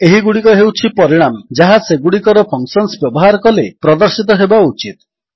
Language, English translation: Odia, These are the results which should be displayed when we use their functions